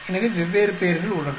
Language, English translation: Tamil, So, different names are there